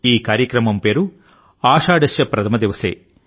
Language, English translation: Telugu, The name of this event is 'Ashadhasya Pratham Diwase'